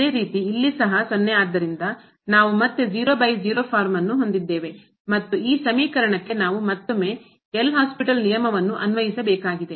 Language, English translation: Kannada, Similarly, here also 0 so, we have again 0 by 0 form and we need to apply the L’Hospital rule to this expression once again